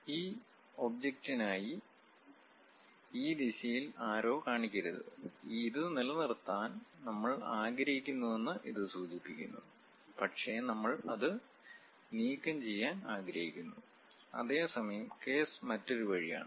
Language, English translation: Malayalam, We should not show arrows in this direction for this object; it indicates that we want to retain this, but we want to remove it, whereas the case is the other way around